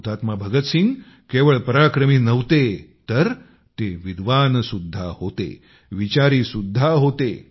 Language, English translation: Marathi, Shaheed Bhagat Singh was as much a fighter as he was a scholar, a thinker